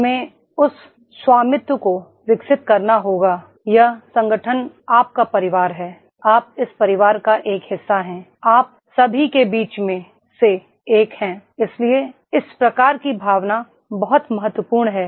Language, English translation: Hindi, We have to develop that ownership, this organization is your family you are a part of this family, you are amongst one of the, one amongst all of us, so therefore this type of feeling is very important